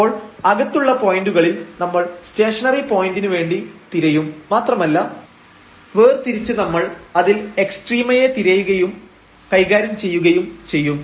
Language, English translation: Malayalam, So, at interior points we will search for the stationary point and separately we will handle or we will look for the extrema at the boundary